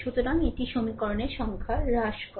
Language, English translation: Bengali, So, it reduces the number of equation